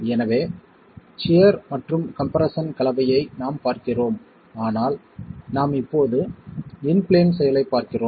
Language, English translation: Tamil, So we are looking at the combination of shear and compression, but we are looking at in plane action now